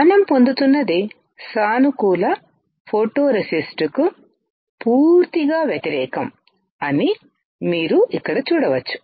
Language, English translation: Telugu, You can see here that what we are getting is absolutely opposite of the positive photoresist